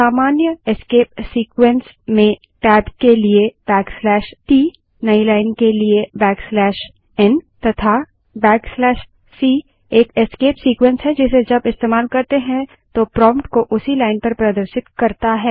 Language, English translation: Hindi, Common escape sequences include \t for tab, \n for new line and \c is a escape sequence which when used causes the prompt to be displayed on the same line